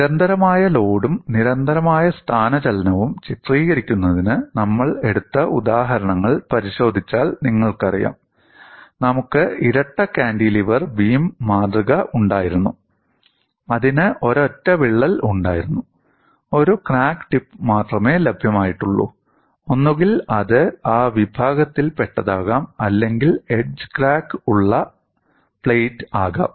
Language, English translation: Malayalam, if you look at the examples that we have taken for illustrating constant load and constant displacement, we had the double cantilever beam specimen; that had a single crack; only one crack tip was available; either it could be of that category or a plate with the edge crack